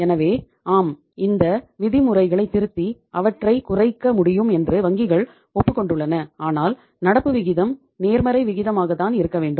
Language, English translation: Tamil, So uh the banks have agreed that yes these norms can be revised and can be brought down but still the current ratio has to be positive ratio